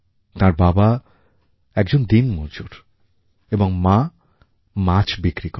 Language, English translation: Bengali, Her father is a labourer and mother a fishseller